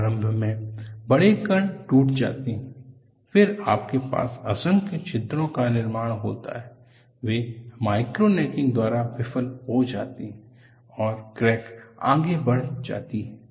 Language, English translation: Hindi, Initially, the large particles break, then you have myriads of holes formed, they fail by micro necking and the crack moves forward